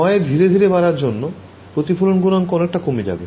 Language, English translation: Bengali, Increase the loss gradually the reflection coefficient is greatly reduced ok